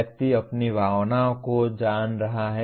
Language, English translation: Hindi, One is knowing one’s own emotions